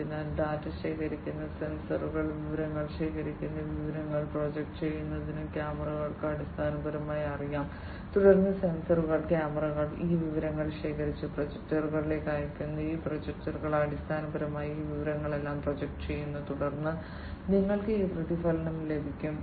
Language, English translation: Malayalam, So, sensors collecting data, cameras also basically know projecting in the information collecting the information and then together the sensors, cameras, you know, collecting all these information and then sending it to the projectors, and this projector basically projects all this information and then you have this reflection system, which is the mirror